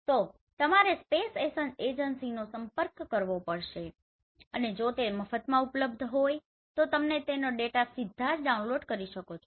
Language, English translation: Gujarati, So you have to contact the space agencies and if it is freely available you can directly download them